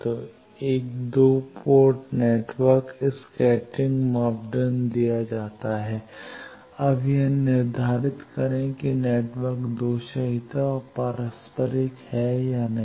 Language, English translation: Hindi, So, a 2 port network scattering parameter is given, now determine whether the network is lossless and reciprocal or not